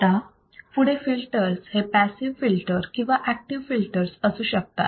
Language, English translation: Marathi, Now, next is filters can be passive filters, can be active filters